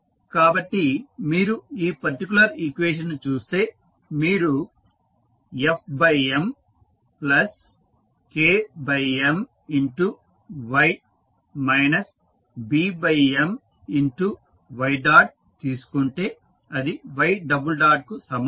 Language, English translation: Telugu, So, if you see this particular equation if you take f by M into K by M into y minus B by M into y dot is equal to y double dot